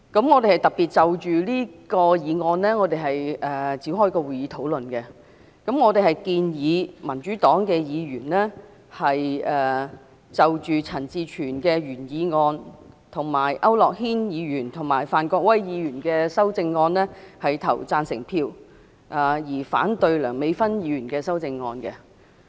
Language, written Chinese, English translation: Cantonese, 我們特別就此議案展開討論，我們建議民主黨議員就陳志全議員的原議案，以及區諾軒議員和范國威議員的修正案投贊成票，而反對梁美芬議員的修正案。, We have specifically discussed this motion . We propose that Members of the Democratic Party should vote for the original motion of Mr CHAN Chi - chuen as well as the amendments of Mr AU Nok - hin and Mr Gary FAN but we should vote against the amendment of Dr Priscilla LEUNG